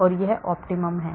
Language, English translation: Hindi, so this is the optimum